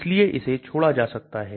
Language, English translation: Hindi, So it can be omitted